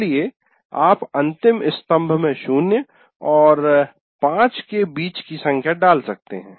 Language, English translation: Hindi, So you can put a number between zero and five in the last column